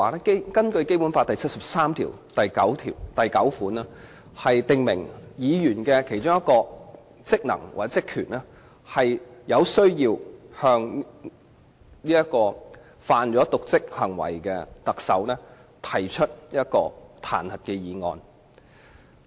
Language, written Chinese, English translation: Cantonese, 根據《基本法》第七十三條第九項，如果特首犯有瀆職行為，議員的其中一項職能或職權，是向犯有瀆職行為的特首提出彈劾議案。, Pursuant to Article 739 of the Basic Law if the Chief Executive has committed dereliction of duty one of the functions or duties of Members is to propose a motion to impeach the Chief Executive for dereliction of duty